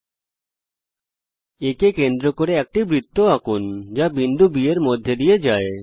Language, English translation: Bengali, Lets construct a circle with center A and which passes through point B